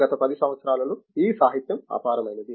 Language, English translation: Telugu, This literature in the last 10 years is enormous